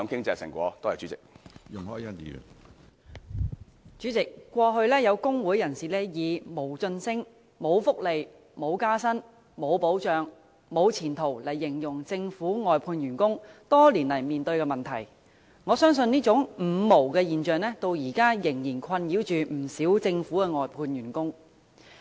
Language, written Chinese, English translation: Cantonese, 主席，過去有工會人士以"無晉升、無福利、無加薪、無保障、無前途"形容政府外判員工多年來面對的問題，我相信這種"五無"現象至今仍然困擾不少政府外判員工。, President the problems faced by workers employed for services outsourced by the Government over the years have been described by labour union members as having no promotion prospect no welfare no pay rise no protection no future . I think this situation of five noes have continued to cause distress to quite a large number of outsourced workers nowadays